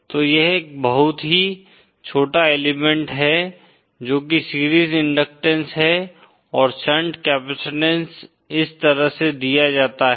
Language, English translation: Hindi, So this is a very small element that is the series inductance and shunt capacitances are given like this